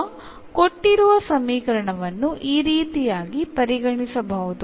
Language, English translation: Kannada, So, having this equation now we can just rewrite this